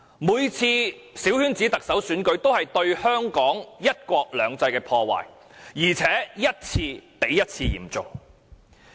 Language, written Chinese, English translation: Cantonese, 每次小圈子特首選舉都對香港的"一國兩制"造成破壞，而且一次比一次嚴重。, Each small - circle Chief Executive election held in Hong Kong has negative impact on Hong Kongs one country two systems and the impact is getting more and more serious